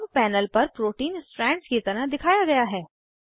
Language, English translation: Hindi, The protein is now displayed as Strands on the panel